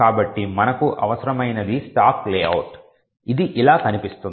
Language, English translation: Telugu, So, what we need essentially is the stack layout which looks something like this